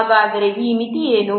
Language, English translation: Kannada, So what is this limit